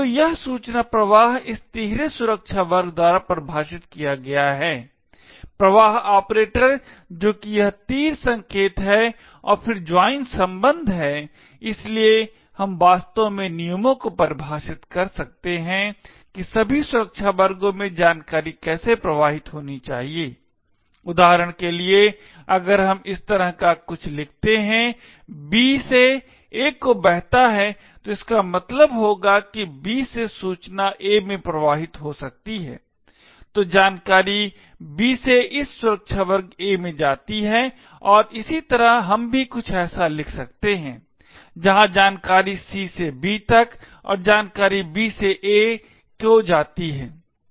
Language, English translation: Hindi, So this information flow is defined by this triple security class, flow operator which is this arrow sign and then join relationship, so we can actually define rules to decide how information should flow across the security classes, for example if we write something like this B flows to A, it would mean that information from B can flow to A that is information from B flow to this security class A, similarly we could also write something like this where information from C flows to B and information from B flows to A